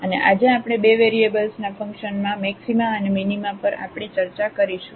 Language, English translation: Gujarati, And, today we will continue our discussion on Maxima and Minima of Functions of Two Variables